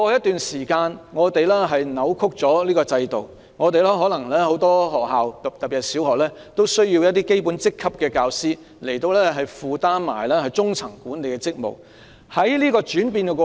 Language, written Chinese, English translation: Cantonese, 但是，由於這個制度過去被扭曲，可能因為很多學校需要一些基本職級的教師兼顧中層管理職務，以致教師不適應這個轉變過程。, But because this system has been distorted with the result that many schools require elementary rank teachers to take up middle management duties teacher cannot adapt to the change